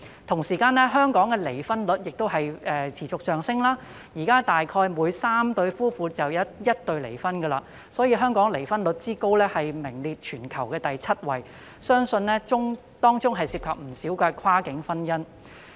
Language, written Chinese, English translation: Cantonese, 同時，香港的離婚率亦持續上升，現時大約每3對夫婦便有1對離婚，所以香港的離婚率之高，名列全球第七位，相信當中涉及不少跨境婚姻。, Meanwhile the divorce rate in Hong Kong keeps rising . Approximately one out of three couples gets divorced nowadays making the high divorce rate in Hong Kong rank the seventh in the world . It is believed that many involve cross - boundary marriages